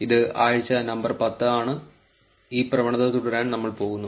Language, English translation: Malayalam, This is week number 10, and we are going to look at continuing the trend